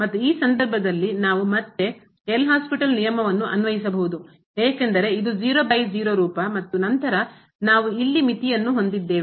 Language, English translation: Kannada, And in this case we can apply again a L’Hospital rule because this is 0 by 0 form and then we have limit here